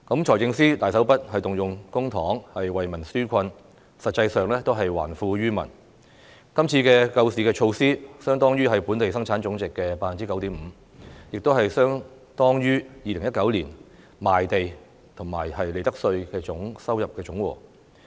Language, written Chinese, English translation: Cantonese, 財政司司長大手筆動用公帑為民紓困，實際上也是還富於民，今次的救市措施，相當於本地生產總值的 9.5%， 也是相當於2019年賣地和利得稅的收入總和。, The Financial Secretary has used public funds generously to relieve peoples hardship which is actually returning wealth to the people . The amount spent on rescuing the market represents 9.5 % of the Gross Domestic Product which is equivalent to the total revenues from land premium and profits tax in 2019